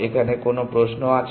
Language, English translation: Bengali, Any questions here